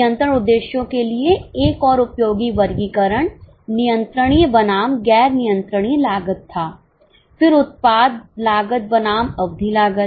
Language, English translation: Hindi, For control purposes another useful classification was controllable versus non controllable cost, then product cost versus period costs